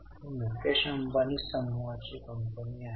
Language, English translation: Marathi, It belongs to Mukeshambani Group